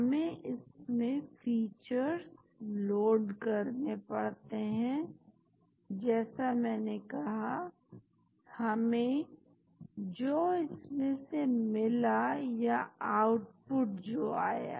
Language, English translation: Hindi, we need to load features like I said we get from this, that is the output which had come